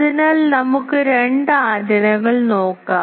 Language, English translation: Malayalam, So, let us see the two antennas